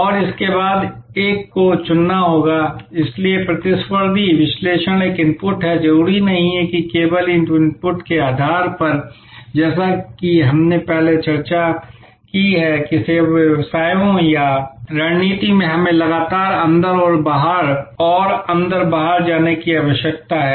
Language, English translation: Hindi, And after this is done one will have to choose… So, competitive analysis is an input, not necessarily only depending on that input as we discussed that in service businesses or in strategy we need to constantly go inside out and outside in